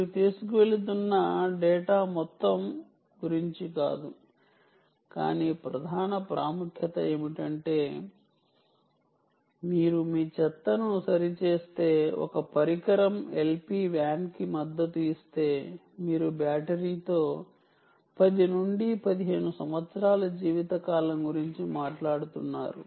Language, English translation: Telugu, of prime importance is not about the amount of data that you are carrying, but of prime importance is the fact that if you fix to your garbage can a device which is supporting l p wan, then you are talking about ten to fifteen years lifetime with a battery